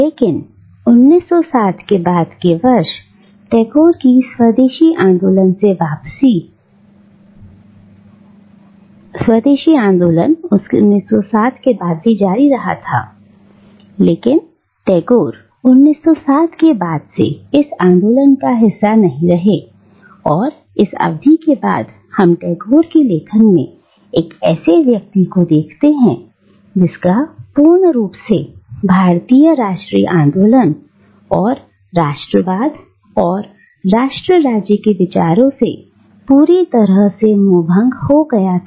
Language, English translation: Hindi, But post 1907, post Tagore’s withdrawal from the Swadeshi movement, but Tagore stopped being part of the movement from around 1907 and after this period we encounter, in Tagore’s writings, a person who has become thoroughly disillusioned with the Indian nationalist movement in particular, and with the ideas of nationalism and nation state in general